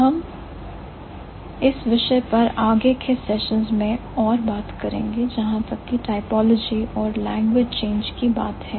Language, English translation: Hindi, So, we'll talk about more in the coming sessions as for as for typology and language change is concerned